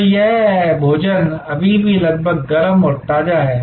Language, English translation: Hindi, So, that the food is still almost hot and fresh